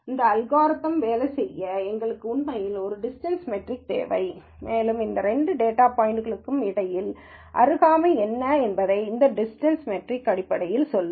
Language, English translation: Tamil, We really need a distance metric for this algorithm to work and this distance metric would basically say what is the proximity between any two data points